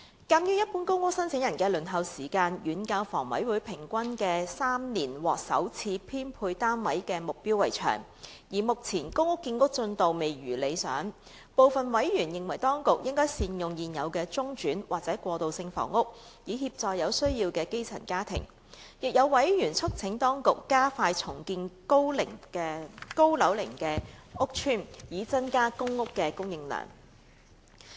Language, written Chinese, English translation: Cantonese, 鑒於一般公屋申請人的輪候時間遠較香港房屋委員會平均3年獲首次編配單位的目標為長，而目前公屋建屋進度未如理想，部分委員認為當局應善用現有的中轉或過渡性房屋，以協助有需要的基層家庭，亦有委員促請當局加快重建高樓齡屋邨，以增加公屋的供應量。, Members noted that the waiting time of general applicants for PRH allocation was way longer than the target of the Hong Kong Housing Authority HA of providing the first offer of PRH units at around three years on average and that the progress of PRH production was not satisfactory . Some members considered that the authorities should better utilize the existing interimtransitional housing to assist the grass roots in need . Some members urged the authorities to speed up the redevelopment of aged PRH estates to increase the supply of PRH units